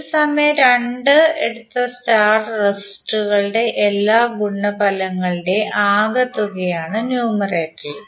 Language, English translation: Malayalam, In the numerator would be the product of, sum of all the product of star resistors taken 2 at a time